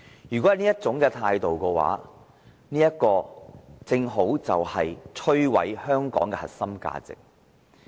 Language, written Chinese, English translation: Cantonese, 如果要採取這種態度，就正好摧毀香港的核心價值。, If we adopt this attitude we will rightly destroy the core values of Hong Kong